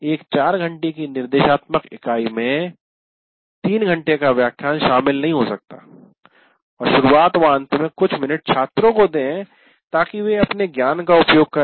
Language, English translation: Hindi, So what happens is I cannot say in a 4 hour instructional unit, I will lecture for 3 hours and spend some time in the beginning as well as at the end making the students use the knowledge for about 20 minutes